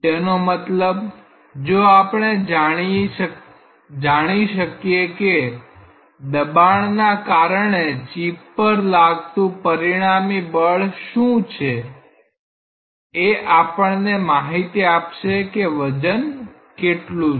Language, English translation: Gujarati, That means, if we find out what is the resultant force due to pressure on this chip that will give us an insight on what is the weight